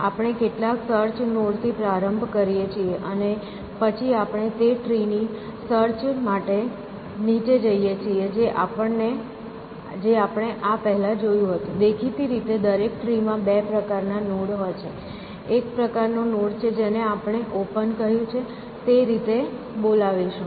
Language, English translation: Gujarati, So, we start with some search node, and then we go down searching for the tree we had seen this before so; obviously, every tree has two kinds of nodes; one kind of node is we will call as we have called as open